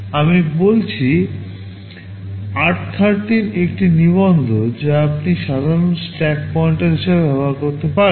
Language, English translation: Bengali, I said r13 is a register that you typically use as the stack pointer